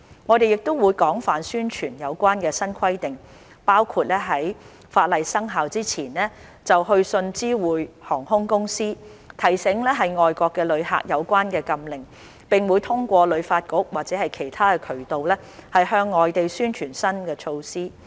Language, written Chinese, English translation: Cantonese, 我們會廣泛宣傳有關的新規定，包括在法例生效之前就會去信知會航空公司，提醒外國的旅客有關的禁令，並會通過旅發局或其他渠道，向外地宣傳新措施。, We will widely publicize the new regulations including writing to airline companies to remind foreign travellers of the ban before the legislation comes into effect and publicizing the new measures in other places through the Hong Kong Tourism Board or other channels